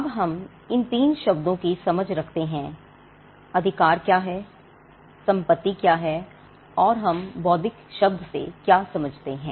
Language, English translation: Hindi, Now, that we have understandings of these 3 terms, what rights are, what property is, and what we mean by the term intellectual